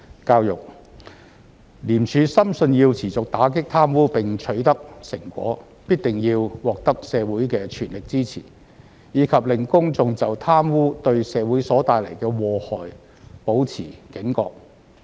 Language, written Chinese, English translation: Cantonese, 教育廉署深信要持續打擊貪污並取得成果，必定要獲得社會的全力支持，以及令公眾就貪污對社會所帶來的禍害保持警覺。, Education ICAC has long held the belief that the success in fighting against corruption cannot be sustained without the support of the whole community and keeping the public alert to the grave harms corruption will cause to society